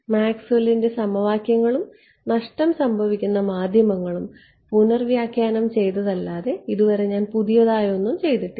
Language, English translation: Malayalam, So, so far I have not done anything new except just reinterpret Maxwell’s equations and lossy media right there is no mention whatsoever of PML ok